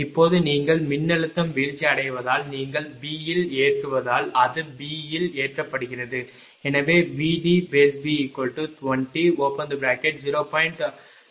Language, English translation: Tamil, Now that now the voltage drop due to your what you call load at B that is load at B